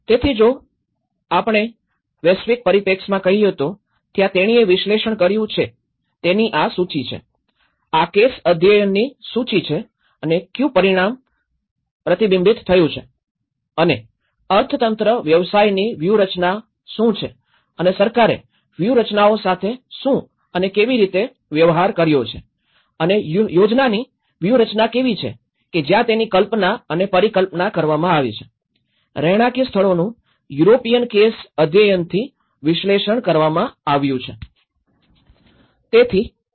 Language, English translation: Gujarati, So, what we can say is you know, from the global scenario, there is, this is the list of the way she have analyzed it, this is a list of the case studies and what scale it has been reflected and what is the economy occupation strategies and what and how the government have dealt with the strategies and how the planning strategies are that is where how the conceived and the perceived, lived space have been analyzed from the European case studies